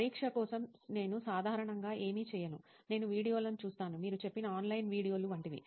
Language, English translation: Telugu, For examination, I generally do not, I watch videos maybe, like if online videos you find